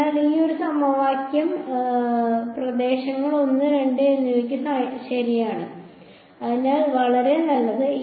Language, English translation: Malayalam, So, this one equation is true for regions 1 and 2, so for so good